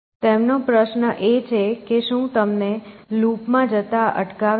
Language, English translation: Gujarati, So, his question is what stops you from going in a cycle